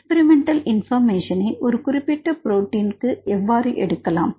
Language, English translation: Tamil, how to get the experimental information for a specific proteins